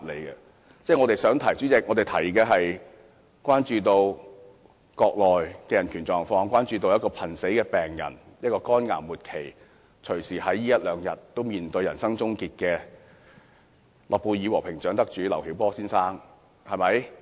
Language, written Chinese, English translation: Cantonese, 主席，我們想提出的是，我們關注國內的人權狀況，關注一位這一兩天隨時面對人生終結的末期肝癌患者、諾貝爾和平獎得主劉曉波先生。, President what we want to point out is that we are concerned about the human rights conditions on the Mainland and we are also concerned about Mr LIU Xiaobo a Nobel Peace Prize laureate and a terminal liver cancer patient whose life may come to an end in a day or two